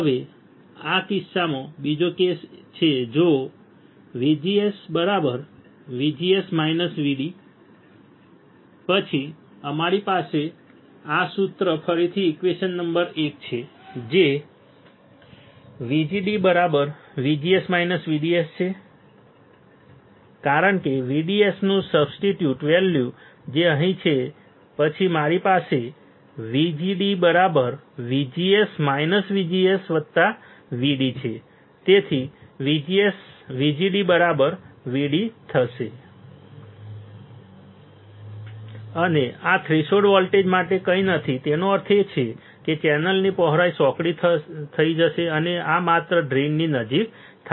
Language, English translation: Gujarati, Now this is another case right in this case if VGS equals to VGS minus VD, then we have this formula again equation number one which was VGD equals to VGS minus VDS because substitute value of VDS which is right over here, then I have VGD equals to VGS minus VGS plus VD this is gone